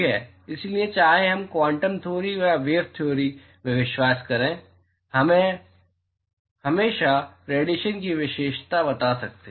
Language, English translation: Hindi, So, whether we believe in the quantum theory or the wave theory we can always characterize radiation